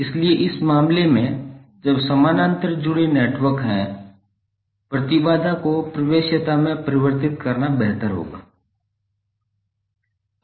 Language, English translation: Hindi, So in this case when you have parallel connected networks, it is better to convert impedance into admittance